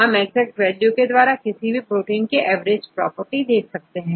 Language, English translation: Hindi, We can use exact values to see the average property of any protein